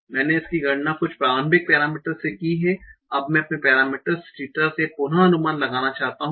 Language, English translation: Hindi, I have started with some initial parameters, computed this, now I want to re estimate my parameters theta